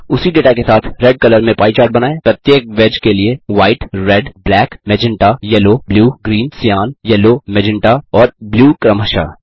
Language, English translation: Hindi, Plot a pie chart with the same data with colors for each wedges as white, red, black, magenta,yellow, blue, green, cyan, yellow, magenta and blue respectively